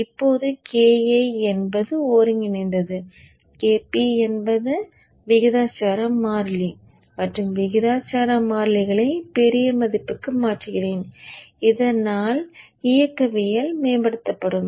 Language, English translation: Tamil, Now KI is the integral constant KP is the proportional constant and let me change the proportional constant to a larger value so that the dynamics is improved